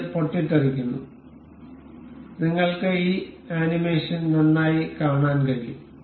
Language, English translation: Malayalam, This explode, you can see this animation nicely